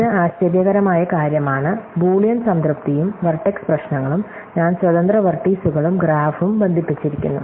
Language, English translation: Malayalam, So, this is the surprising thing is Boolean satisfiability and vertex issues, I am independent vertices and graph are connect